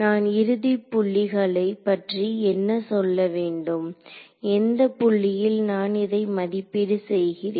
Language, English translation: Tamil, So, what can I say about the end points at which at which points are my evaluating this